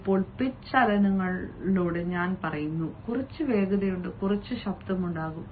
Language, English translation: Malayalam, by pitch movements i said that there is some amount of fastness, some amount of loudness